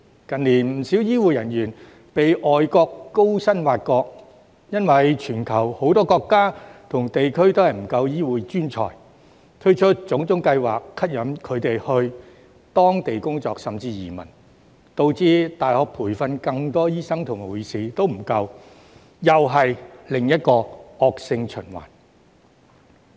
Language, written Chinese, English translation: Cantonese, 近年不少醫護人員被外國高薪挖角，因為全球很多國家和地區均沒有足夠醫護專才，所以推出各種計劃吸引他們到當地工作，甚至移民，導致大學培訓更多醫生和護士也不足夠，這又是另一個惡性循環。, In recent years many healthcare personnel have been absorbed by foreign countries at high salaries because many countries and regions around the world do not have enough medical professionals; therefore they have introduced various schemes to attract these professionals to work and even migrate there; as a result there is still a manpower shortage regardless of how many doctors and nurses are trained in universities thus forming yet another vicious cycle